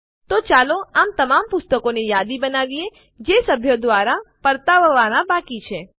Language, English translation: Gujarati, So let us list all the book titles that are due to be returned by the members